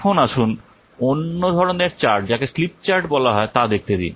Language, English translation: Bengali, Now let's see the other type of what the chart that is called a slip chart